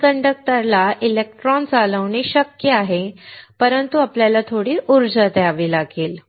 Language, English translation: Marathi, It is possible for a semi conductor to conduct electron but, we have to give some energy